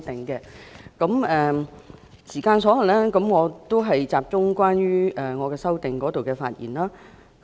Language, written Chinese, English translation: Cantonese, 因發言時間所限，我會集中就我的修正案發言。, Due to the time constraint I will focus my speech on my amendment